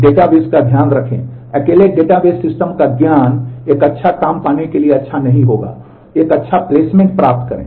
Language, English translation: Hindi, Keep in mind the database the knowledge of database system alone will not be good enough to get a good job, get a good placement